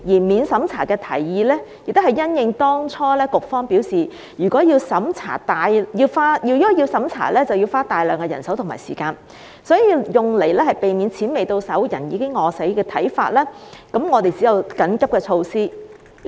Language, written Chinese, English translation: Cantonese, 免審查的提議，亦是因應當初局方表示，如果要審查，便要大量人手和時間，為免"錢未到手，人已餓死"，我們只有建議採用緊急措施。, A non - means - tested proposal is raised because the Bureau has indicated earlier that a lot of manpower and time will be needed for conducting means test . To avoid people starving to death before getting the money we can only propose an emergency measure